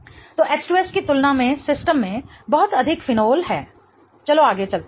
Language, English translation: Hindi, So, there is much more phenol into the system than H2S